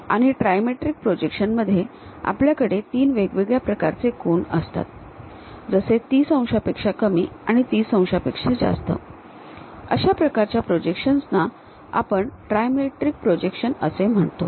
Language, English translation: Marathi, And, in trimetric we will have different three angles and something like less than 30 degrees and more than 30 degrees, such kind of projections we call trimetric projections